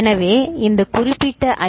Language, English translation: Tamil, So, this is the one